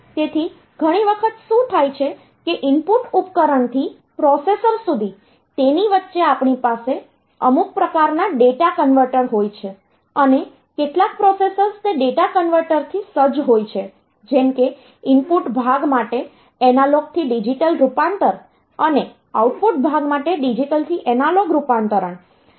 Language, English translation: Gujarati, So, many times what happens is that from the input device to the processor, in between we have some sort of data converters and some of the processors are equipped with those data converters, like analogue to digital conversion for the input part and digital to analogue conversion for the output part